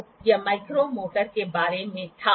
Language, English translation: Hindi, So, this was about the micrometer